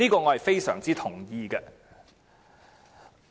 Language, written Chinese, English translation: Cantonese, "我非常同意這點。, I very much agree to this point